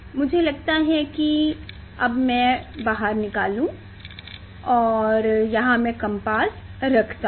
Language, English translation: Hindi, I think it has; I will take out this one and here I will put the compass